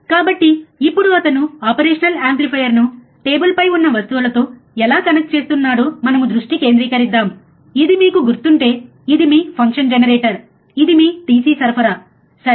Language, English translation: Telugu, So, now we focus how he is connecting the operational amplifier with the things that we have on the table which is our if you remember, what is this is your function generator, this is your DC supply, right